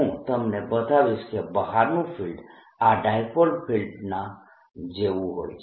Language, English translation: Gujarati, i show you that the outside field is like the dipolar field, like this